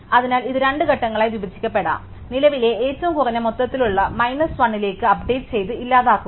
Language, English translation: Malayalam, So, this can be broken up as two steps, so update to the current minimum overall minus 1 and then delete min